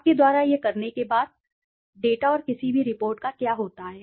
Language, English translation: Hindi, What happens to the data and any report after you do it